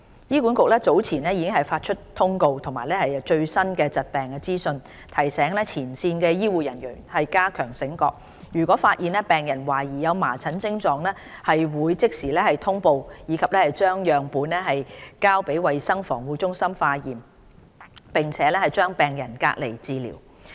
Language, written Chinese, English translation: Cantonese, 醫管局早前已發出通告及最新疾病資訊，提醒前線醫護人員加強警覺性，若發現病人懷疑有麻疹徵狀，會即時通報及將樣本送交衞生防護中心化驗，並將病人隔離治療。, Earlier HA issued notifications as well as updated information on measles to remind frontline health care staff to be vigilant towards patients with symptoms of measles . Suspected cases will need to be reported and treated under isolation with specimens sent to CHP for testing